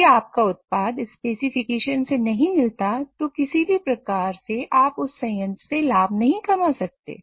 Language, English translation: Hindi, So, if your product does not meet specification, there is no way you can generate profit out of that plant